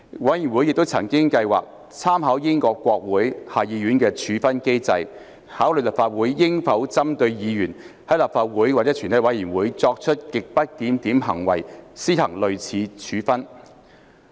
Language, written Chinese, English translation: Cantonese, 委員會亦曾計劃參考英國國會下議院的處分機制，考慮立法會應否針對議員在立法會或全體委員會作出極不檢點行為，施行類似處分。, The Committee also planned to consider with reference to the sanction mechanism in the House of Commons of the Parliament of the United Kingdom whether the Legislative Council should impose similar sanctions against grossly disorderly conduct of Members in Council or committee of the whole Council